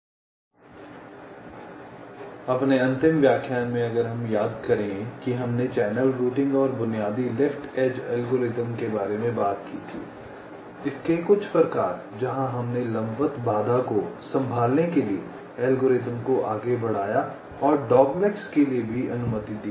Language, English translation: Hindi, so in our last lecture, if we recall, we had talked about the basic left edge algorithm for channel routing and some of its variants, where we extended the algorithm move to handle the vertical constraint and also to allow for the dog legs